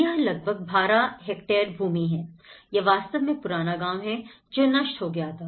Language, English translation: Hindi, This is about a 12 hectare land; this is actually the old village where the whole village has got destroyed